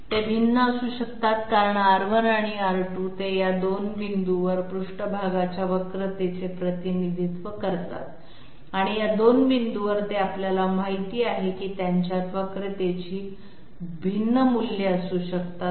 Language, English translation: Marathi, They can well be different because R 1 and R 2, they represent the curvatures of the surface at these 2 points and at these 2 points they are you know they can have different values of curvature